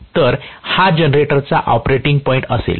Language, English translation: Marathi, So, this will be the operating point of the generator